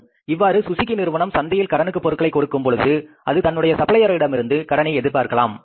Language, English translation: Tamil, Now, Suzuki has also the right that if they are giving the credit in the market, they can also expect the credit from their suppliers